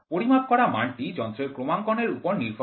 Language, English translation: Bengali, The value of the measured quantity depends on the calibration of the instrument